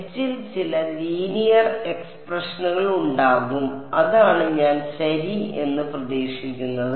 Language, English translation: Malayalam, There will be some bunch of some linear expression in H is what I expect ok